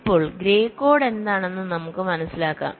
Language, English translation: Malayalam, now let us understand what is gray code